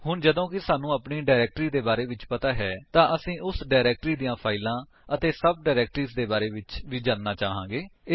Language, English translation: Punjabi, Once we know of our directory we would also want to know what are the files and sub directories in that directory